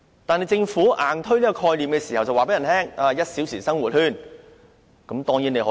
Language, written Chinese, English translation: Cantonese, 但是，政府硬推這個概念的時候，卻告訴大家可實現 "1 小時生活圈"。, When the Government pushed through this concept however it told us that a one hour living sphere could be materialized